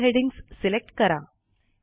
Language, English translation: Marathi, Select all the headings